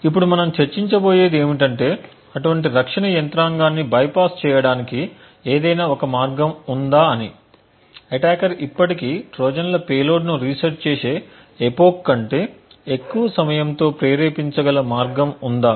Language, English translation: Telugu, Now what we will now discuss is whether there is a way to bypass such protection mechanism, is there a way an attacker could still trigger Trojans payload at a time which is even greater than an epoch even with the resets that are present